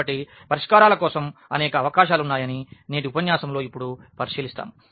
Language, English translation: Telugu, So, because we will observe now in today’s lecture that there are several possibilities for the solutions